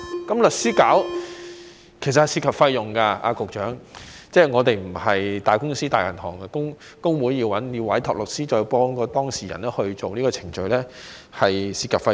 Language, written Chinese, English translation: Cantonese, 找律師處理其實會涉及費用，局長，即我們並非大公司或大銀行，工會要委託律師再協助當事人進行這個程序會涉及費用。, Engagement of lawyers incurs costs Secretary and we are not a big company or a big bank at all . It will be costly for trade unions to engage lawyers to assist their clients in instituting the proceedings